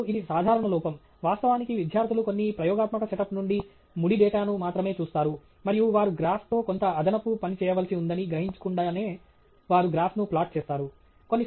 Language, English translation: Telugu, And this is a common error; actually, students put up a graph without even thinking that they, you know, because they just look at raw data from some experimental setup, and they just plot the graph without realizing that they have to do some additional work with a graph, so that is there